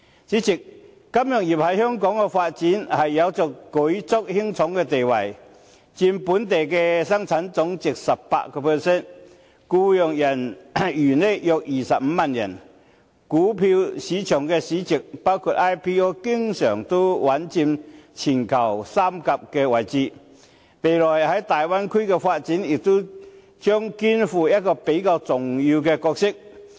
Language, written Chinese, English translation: Cantonese, 主席，金融業對香港的發展有着舉足輕重的地位，佔本地生產總值 18%， 僱用人員約25萬人，股票市場市值經常穩佔全球三甲位置，未來對大灣區的發展也將肩負比較重要的角色。, The Hong Kong Smart City Blueprint published by the Government last year consists of six aspects namely smart mobility smart living smart environment smart people smart government and smart economy covering all aspects of the citys development in a correct and comprehensive direction conducive to enhancing the overall competitiveness of Hong Kong